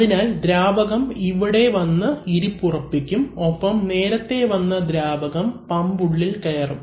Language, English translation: Malayalam, So, the fluid which comes settles around this point and the fluid which has come earlier actually go and enter the pump